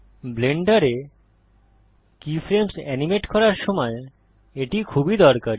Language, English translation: Bengali, This is very useful while animating keyframes in Blender